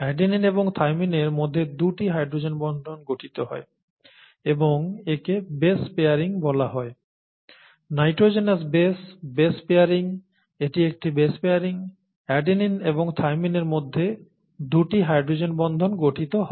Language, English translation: Bengali, There are two hydrogen bonds that are formed between adenine and thymine and this is what is called base pairing, okay, nitrogenous base, base pairing, this is a base pairing, a hydrogen bond formation between adenine and thymine